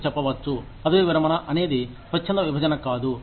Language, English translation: Telugu, You will say, retirement is not a voluntary separation